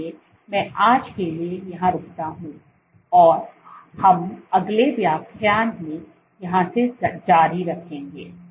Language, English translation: Hindi, So, I stop here for today and we will continue from here in the next lecture